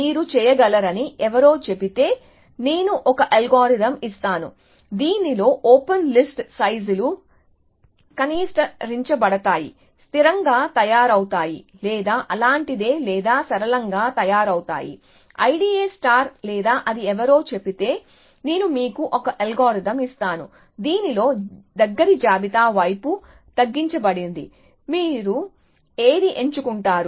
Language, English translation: Telugu, If somebody says that you can, I will give an algorithm in which, the open list sizes is minimize, made constant or something like that or made linear like, I D A star or it somebody says that, I will give you an algorithm, in which the close list side is